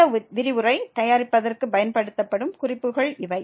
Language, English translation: Tamil, And these are the references used for preparation of this lecture